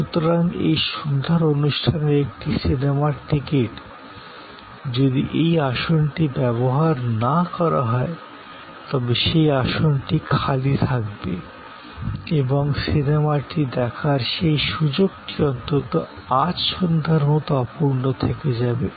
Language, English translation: Bengali, So, a movie ticket for this evening show, if not utilized that seat will be vacant and that opportunity for seeing the movie will be gone as far as this evening is concerned